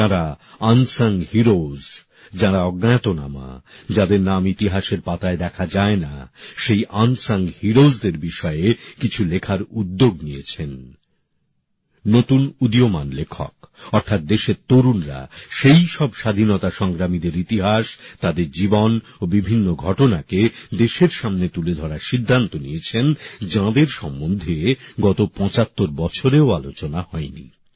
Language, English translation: Bengali, They have taken the lead to write something on those who are unsung heroes, who are unnamed, whose names don't appear on the pages of history, on the theme of such unsung heroes, on their lives, on those events, that is the youth of the country have decided to bring forth the history of those freedom fighters who were not even discussed during the last 75 years